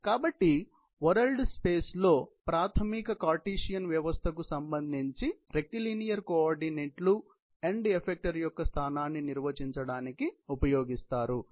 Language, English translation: Telugu, So, in a world space rectilinear coordinates with reference to the basic Cartesian system, are used to define the position of the end effector